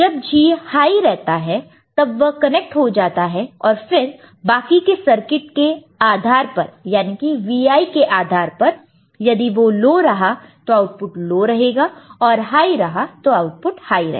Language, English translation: Hindi, Only when G is high then if this G gets connected and depending on the rest is a circuit, where depending on Vi, if it is low the output will go low or high it will go high